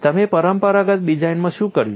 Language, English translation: Gujarati, In conventional design what is that you have done